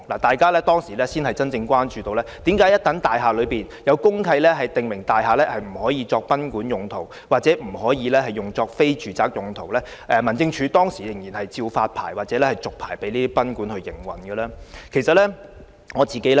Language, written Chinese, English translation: Cantonese, 當時大家才真正關注到，為何位於大廈公契已訂有不能作賓館或非住宅用途的條文的多層大廈內的酒店及賓館，仍會獲民政事務總署發牌及續牌經營。, It was only then that people became really concerned as to why the Home Affairs Department HAD would issue licences to and renew licences for hotels and guesthouses situated in multi - storey buildings whose deeds of mutual covenant DMCs contain provisions prohibiting the use of premises as guesthouses or for non - residential purposes